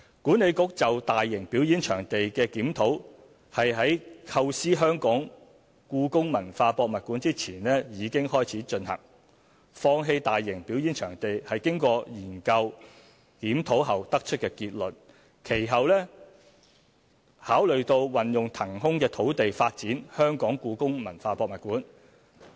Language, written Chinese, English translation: Cantonese, 管理局就大型表演場地的檢討，是在構思故宮館前已開始進行，放棄大型表演場地是經過研究和檢討後得出的結論，其後考慮到運用騰空的土地發展故宮館。, WKCDA started to review the proposal to build a mega performance venue before the conception of HKPM . Abandoning the proposal was the conclusion reached after conducting studies and reviews and subsequently it was considered that the site could be used for developing HKPM